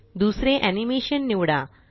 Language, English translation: Marathi, Select the second animation